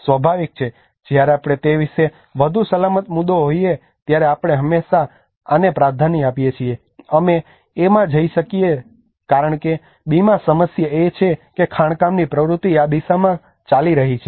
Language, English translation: Gujarati, Obviously when we think about if it is a safer point we always prefer yes we may move to A because in B the problem is the mining activity is going in this direction